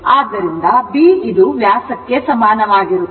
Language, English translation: Kannada, So, b is equal to your what you call the diameter